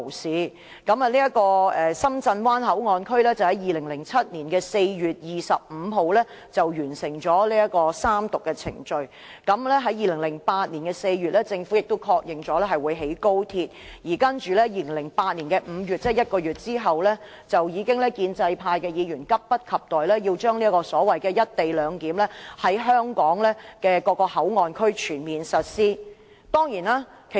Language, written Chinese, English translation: Cantonese, 《深圳灣口岸港方口岸區條例草案》在2007年4月25日完成三讀，政府在2008年4月確認會興建高鐵，接着於2008年5月，即1個月後，建制派議員已急不及待要把這個所謂"一地兩檢"安排在香港各個口岸區全面實施。, The Shenzhen Bay Port Hong Kong Port Area Bill was read the Third time on 25 April 2007 . The Government confirmed the construction of XRL in April 2008 and then in May 2008 a month later the pro - establishment camp could not wait to propose to have the so - called co - location arrangement implemented in all port areas in Hong Kong